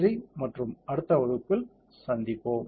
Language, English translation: Tamil, Thank you and see you in the next module